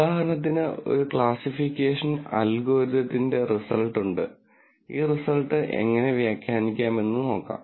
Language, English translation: Malayalam, So, for example, these is a result of one classification algorithm and let us try and see how we interpret this result